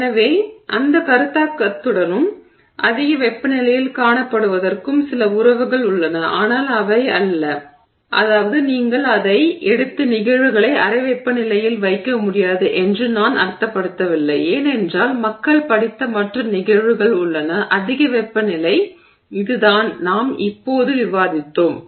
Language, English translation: Tamil, So, there is some relationship with that concept and what is being seen at higher temperatures but they are not, I mean you cannot just take it and take the phenomena and put it at room temperature because the other phenomena that people have studied are at much higher temperatures which is what we just discussed